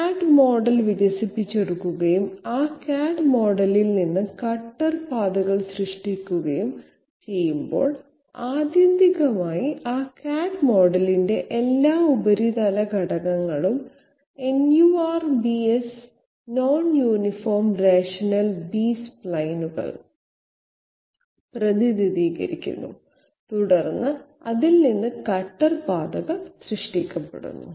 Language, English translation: Malayalam, Whenever CAD model is developed and cutter paths are generated from that CAD model, ultimately all the surface elements of that CAD model are represented by NURBS and then cutter paths are generated from that